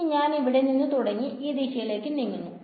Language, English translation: Malayalam, Now I want to so let us start from here and go in this direction